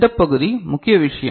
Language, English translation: Tamil, This part is the major thing